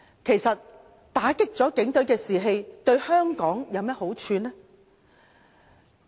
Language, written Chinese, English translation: Cantonese, 其實打擊警隊士氣對香港有何好處呢？, What benefits does undermining police morale bring to Hong Kong?